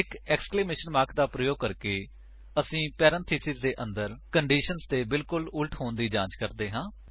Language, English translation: Punjabi, By using an exclamation mark, we check for the exact opposite of the condition inside the parentheses